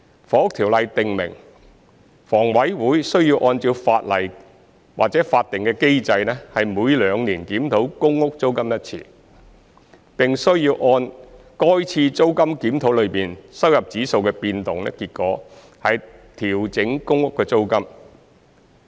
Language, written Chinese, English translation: Cantonese, 《房屋條例》訂明，房委會需要按照法定機制每兩年檢討公屋租金一次，並需要按該次租金檢討中收入指數的變動結果調整公屋租金。, The Housing Ordinance stipulates that HA shall review the PRH rent every two years in accordance with the statutory mechanism and adjust the rent based on the change in the income index worked out in that rental review